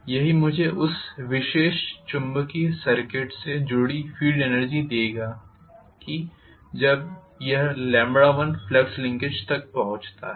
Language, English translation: Hindi, That is what will give me what is the field energy associated with that particular magnetic circuit when it reaches the flux linkage of lambda 1